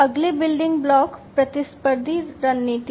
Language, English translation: Hindi, The next building block is the competitive strategy